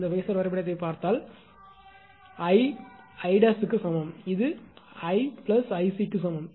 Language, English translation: Tamil, If you look at this phasor diagram that I is equal to your I dash is equal to sorry I dash is equal to I plus I c